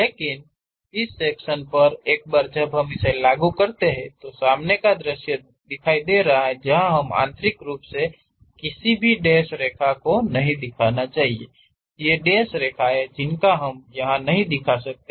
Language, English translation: Hindi, But on this section once we implement that; the front view, sectional front view we should not show any dashed lines internally, these dashed lines we do not represent